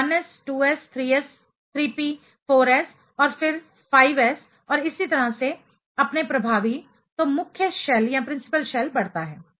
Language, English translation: Hindi, So, 1s, 2s, 3s, 3p, 4s, and then 5 s and so on your effective; so, the principal shell increases